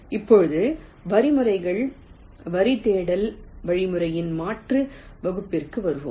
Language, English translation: Tamil, ok, now let us come to an alternate class of algorithms: line search algorithm